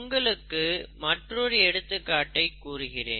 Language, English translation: Tamil, Let me give you one more example